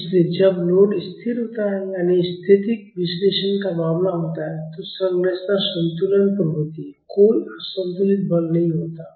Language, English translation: Hindi, So, when the load is constant that means static analysis case, the structure is at equilibrium, there is no unbalanced force